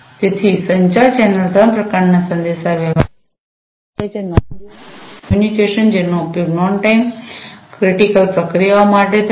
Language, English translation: Gujarati, So, the communication channel supports three types of communication, non real time communication, which is used for non time critical processes